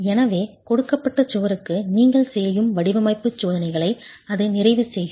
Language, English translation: Tamil, So, that would complete the design checks that you make for a given wall itself